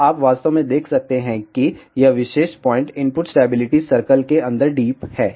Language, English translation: Hindi, So, you can actually see that this particular point is deep inside the input stability circle